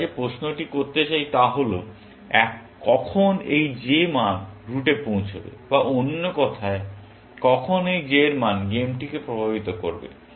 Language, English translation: Bengali, The question we want to ask is; when will this j value reach the route, or in other words, when will this j value influence the game, essentially